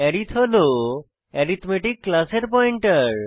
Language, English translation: Bengali, arith is the pointer to the class arithmetic